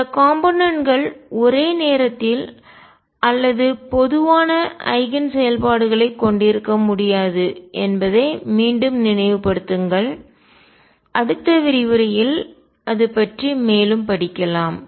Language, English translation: Tamil, Again recall that these components cannot have simultaneous or common eigen functions; more on that in the next lecture